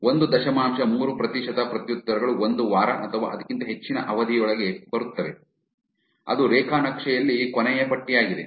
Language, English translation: Kannada, One point three percent of replies arrive within a week or more that is the last bar on the graph